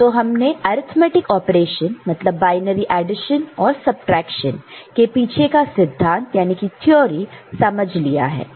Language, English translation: Hindi, So, we have understood the theory behind the arithmetic operation addition, subtraction operation using binary numbers